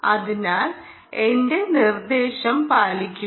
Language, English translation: Malayalam, ok, so just follow my instruction